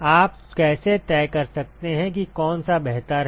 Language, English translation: Hindi, How can you decide which one is better